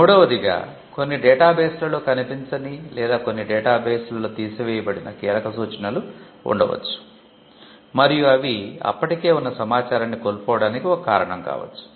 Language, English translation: Telugu, Thirdly, there could be some key references that are missed out in certain databases or which do not throw up in certain databases, and and it could be a reason for missing out something which was already there